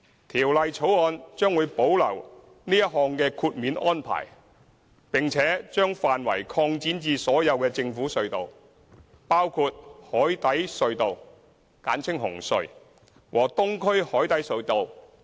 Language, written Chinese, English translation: Cantonese, 《條例草案》將會保留這項豁免安排，並且把範圍擴展至所有政府隧道，包括海底隧道和東區海底隧道。, The Bill will retain this exemption and extend it to all government tunnels including the Cross - Harbour Tunnel CHT and the Eastern Harbour Crossing EHC